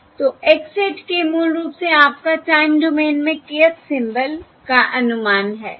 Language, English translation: Hindi, okay, So x hat k is basically your estimate of the kth symbol in the time domain